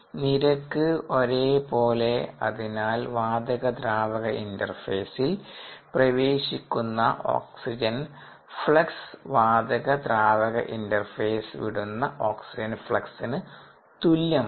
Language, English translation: Malayalam, therefore, the flux of oxygen entering the gas liquid interface must equal the flux of oxygen that is leaving the gas liquid interface